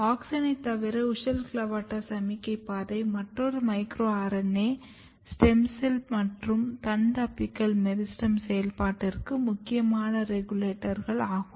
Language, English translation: Tamil, Apart from auxin and this key regulator of WUSCHEL and CLAVATA signaling pathway, micro RNA has been identified as a very important regulator of stem cell property or shoot apical meristem function